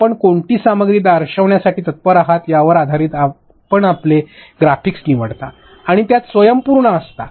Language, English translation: Marathi, And based upon what content are you kind to show based upon that you select your graphics and have it self contained